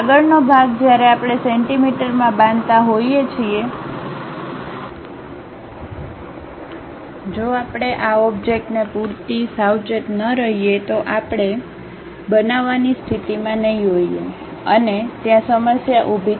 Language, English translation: Gujarati, The next part when we are constructing it in centimeters, if we are not careful enough these objects we may not be in a position to make and there will be a problem